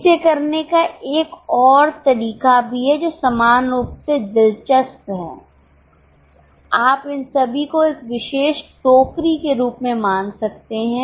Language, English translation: Hindi, There is also another way of doing it which is also equally interesting, you can treat all these as a particular basket